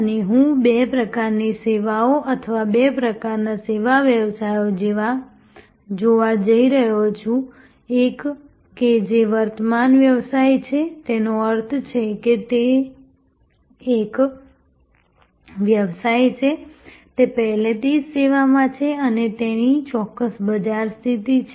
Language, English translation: Gujarati, And I am going to look at two types of services or two types of service businesses, one which is an incumbent business; that means that is a business, which is already in service and has a certain market position